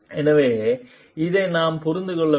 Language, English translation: Tamil, So, this we have to understand